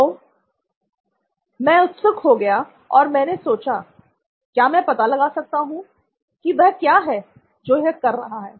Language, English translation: Hindi, So, I got curious and I said, : can I find out what is it that he is doing